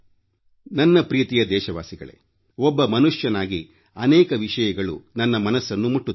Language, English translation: Kannada, My dear countrymen, being a human being, there are many things that touch me too